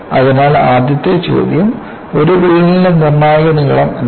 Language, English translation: Malayalam, So, the first question is, "what is a critical length of a crack